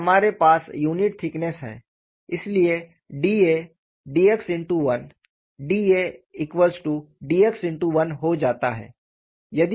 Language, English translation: Hindi, And we are having a unit thickness, so that is why d A becomes d x into 1